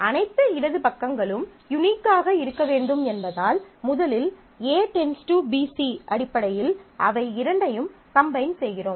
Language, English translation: Tamil, So, first since all left hand sides have to be unique, so first we combine two, these two into in terms of A determining BC